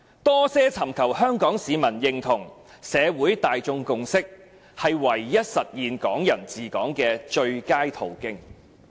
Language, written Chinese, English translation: Cantonese, 多些尋求香港市民認同、社會大眾共識，是唯一實現'港人治港'的最佳途徑。, The one and only way to implement the concept of Hong Kong people ruling Hong Kong at its best is to seek the recognition of Hong Kong people and the consensus of the members of the public